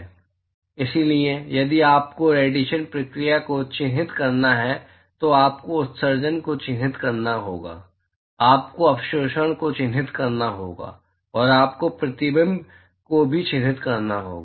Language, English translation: Hindi, So, if you have to characterize the radiation process, you will have to characterize the emission, you will have to characterize the absorption, and you also have to characterize the reflection